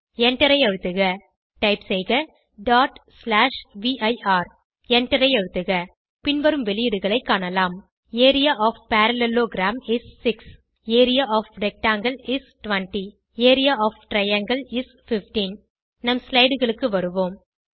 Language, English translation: Tamil, Press Enter Type: ./vir Press Enter You can see that, The output is displayed as: Area of parallelogram is 6 Area of rectangle is 20 and Area of triangle is 15 Come back to our slides